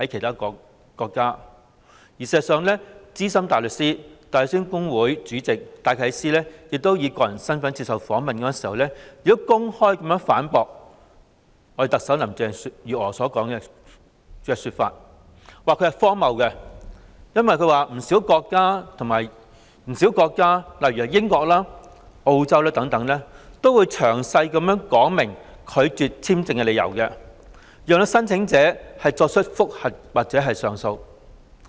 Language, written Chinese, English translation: Cantonese, 事實上，資深大律師、香港大律師公會主席戴啟思以個人身份接受訪問時，公開反駁特首林鄭月娥，指其說法荒謬，因為不少國家如英國、澳洲等，都會詳細說明拒絕簽證的理由，讓申請者提出覆核或上訴。, In fact when Philip DYKES Senior Counsel and Chairman of the Hong Kong Bar Association was interviewed in his personal capacity he openly refuted Chief Executive Carrie LAM saying that her argument was ridiculous as countries like the United Kingdom and Australia would give a detailed explanation for their refusals so that the applicants could review or appeal against the decisions